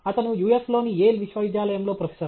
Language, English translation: Telugu, He is a professor in Yale university in US